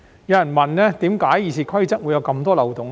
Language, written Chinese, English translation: Cantonese, 有人問為何《議事規則》會有這麼多漏洞？, Some people have asked why there are so many loopholes in RoP